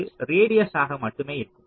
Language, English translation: Tamil, this will be only radius